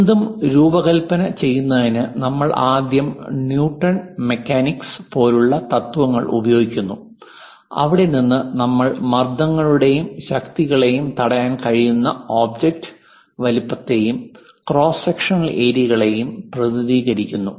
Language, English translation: Malayalam, To design anything, we use first principles like Newton mechanics, and from there we represent object size, cross sectional areas which can withhold the stresses and forces